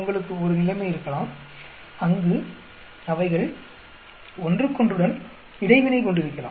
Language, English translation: Tamil, You may have a situation, where they could be interacting with each other